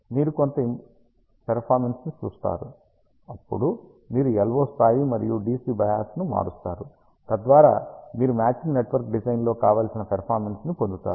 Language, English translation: Telugu, You see the performance then you vary the LO level and DC bias, so that you get the desired performance in the matching network design ok